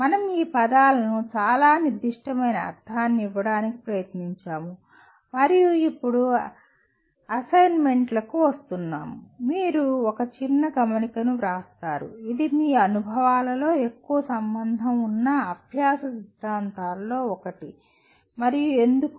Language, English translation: Telugu, We tried to give very specific meaning to these words and now coming to the assignments, you write a small note which one of the learning theories you can relate to more in your experiences and why